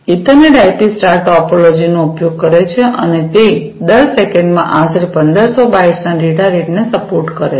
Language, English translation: Gujarati, Ethernet IP uses the star topology and it supports data rate of up to about 1500 bytes per second